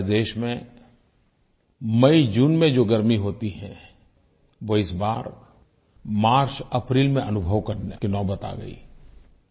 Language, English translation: Hindi, The heat that we used to experience in months of MayJune in our country is being felt in MarchApril this year